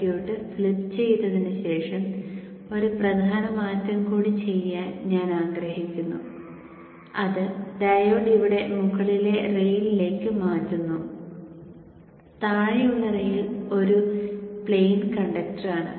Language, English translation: Malayalam, Okay, so after having flipped the circuit, I would like to do one more major change, which is the diode being shifted to the upper, upper rail here and the bottom lane is a plane conductor